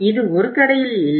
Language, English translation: Tamil, I will not go to any store